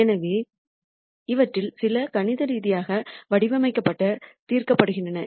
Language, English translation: Tamil, So, some of these are mathematically formulated and solved